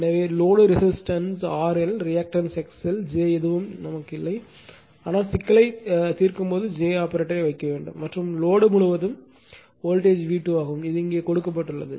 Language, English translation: Tamil, So, suppose it resistance that you load resistance is R L and say reactance is X L j is not put any have, but when you solve the problem you have to put j the complex operator and voltage across the load is V 2 it is given here, right